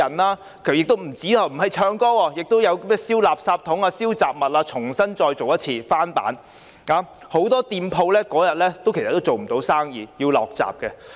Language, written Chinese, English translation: Cantonese, 不僅如此，有人並不是唱歌，有人在燒垃圾箱和雜物，重新再做一次，是翻版，所以很多店鋪當天也做不到生意，要落閘。, What is more some of them were not singing they were burning trash bins and other stuffs . It was a repetition of what has been done before that is why many shops could not do any business and had to close early on that day